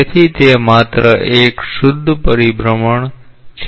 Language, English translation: Gujarati, So, it is just a pure rotation